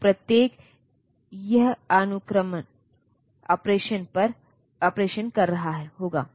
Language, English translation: Hindi, So, each it will be doing sequencing operation